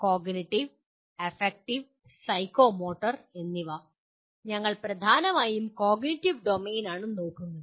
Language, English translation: Malayalam, Cognitive, Affective, and Psychomotor and we dominantly will be looking at cognitive domain